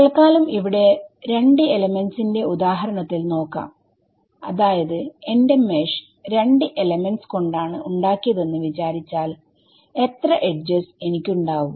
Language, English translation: Malayalam, So, supposing this very simplistic example of just 2 elements, supposing my mesh was just made of 2 elements then how many how many edges do I have in total